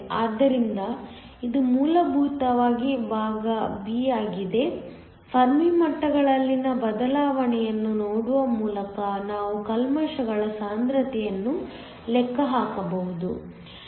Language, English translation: Kannada, So, This is essentially part b just by looking at the shift in the Fermi levels we can calculate the concentration of the impurities